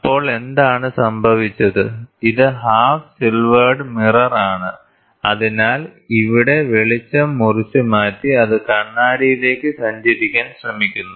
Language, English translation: Malayalam, So, then what happened this is a half silvered mirror so, the light gets cut here, the light gets cut here and then it tries to travel towards the mirror